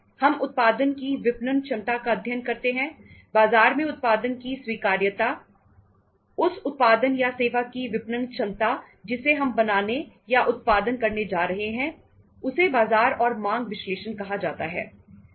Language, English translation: Hindi, We study the marketability of the product, acceptability of the product in the market, marketability of the product or service we are going to create or generate then is called as the market and demand analysis